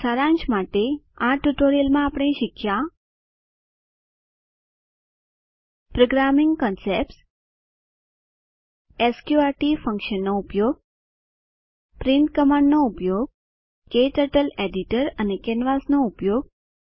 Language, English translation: Gujarati, In this tutorial, we have learnt Programming concepts Use of sqrt function Use of print command Using KTurtle editor and canvas